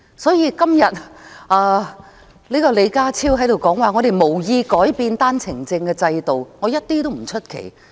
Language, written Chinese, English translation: Cantonese, "所以，如果李家超今天在這裏說，特區政府無意改變單程證制度，我一點也不意外。, Therefore if John LEE Ka - chiu says here today that the SAR Government has no intention of changing the OWP scheme I will not be surprised at all